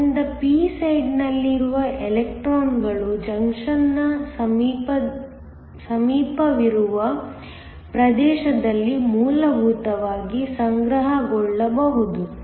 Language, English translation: Kannada, So that electrons in the p side can essentially accumulate in a region near the junction